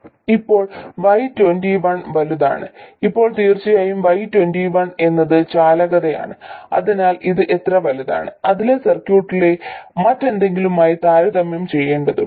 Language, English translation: Malayalam, Now, Y2 is large, of course, Y2 is a conductance, so how large it is, it has to be compared to something else in the circuit